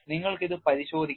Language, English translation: Malayalam, You can have a look at it